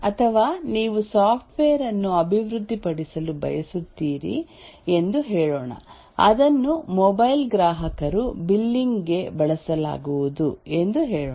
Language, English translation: Kannada, Or let's say you want to develop a software which will be used by, let's say, billing mobile customers